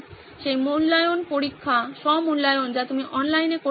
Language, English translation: Bengali, Will that evaluation tests, self evaluation that you can have online